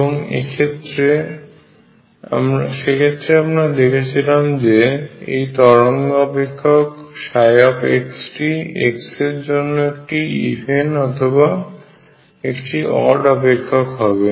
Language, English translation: Bengali, And in that case we showed that the wave function psi x was either even or odd function of x